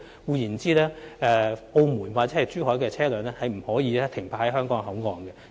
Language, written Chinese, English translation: Cantonese, 換言之，從澳門或珠海而來的車輛不可以停泊在香港口岸。, In other words vehicles from Macao or Zhuhai are forbidden to park at the Hong Kong Port